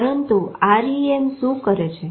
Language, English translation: Gujarati, But what is REM doing